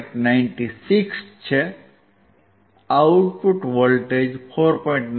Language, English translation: Gujarati, 96; the output voltage is 4